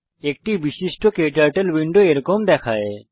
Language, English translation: Bengali, A typical KTurtle window looks like this